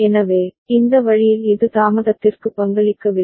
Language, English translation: Tamil, So, that way it this is not contributing to the delay ok